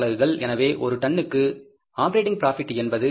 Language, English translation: Tamil, So the operating profit per ton is going to be how much